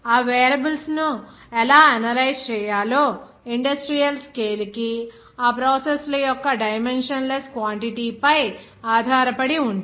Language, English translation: Telugu, How to analyze those variables are based on the dimensionless quantity to the skill of those processes to industrial scale